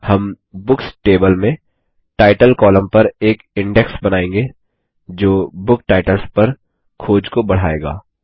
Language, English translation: Hindi, We will create an index on the Title column in the Books table that will speed up searching on book titles